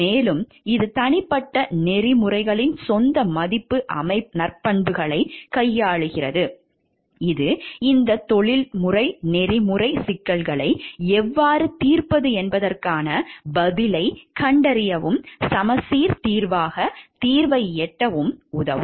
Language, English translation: Tamil, And it is deals personal ethics own value system virtue which will help us to find an answer towards how to solve this professional ethics issues dilemmas and to arrive at the solution which is a balanced solution